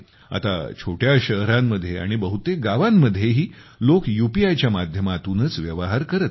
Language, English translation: Marathi, Now, even in small towns and in most villages people are transacting through UPI itself